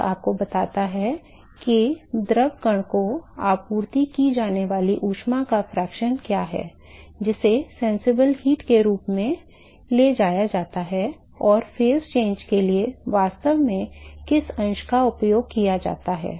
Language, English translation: Hindi, So, this tells you what is the fraction of the heat that is supplied to the fluid particle which is carried as sensible heat and what fraction is actually used for phase change